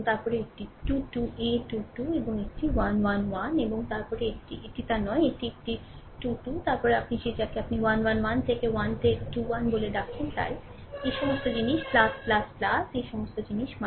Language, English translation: Bengali, And then this is 2 3 a 3 2 and this is a 1 1, and then minus this another one, that your a 3 3, then a you are what you call 1 1 1 to a 1 to then your a 2 1